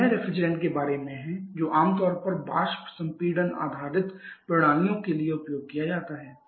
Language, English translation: Hindi, So, that is about the refrigerants for which are commonly used for hyper compression based systems